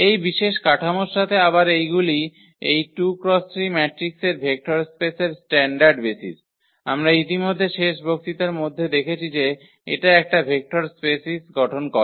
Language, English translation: Bengali, With this special structure again these are the standard basis for this vector space of this 2 by 3 matrices we have already seen that this format a vector space in the last lecture